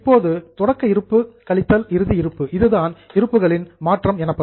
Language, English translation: Tamil, Now, opening stock minus closing stock is your change in stock